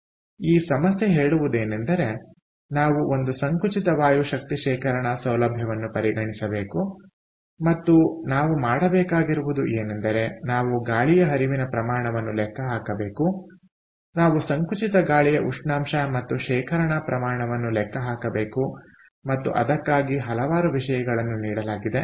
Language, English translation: Kannada, so what it says is: consider a compressed air energy storage facility and what we have to do is we have to calculate air flow rate, we have to calculate compressed air temperature and storage volume, ok, and several things are given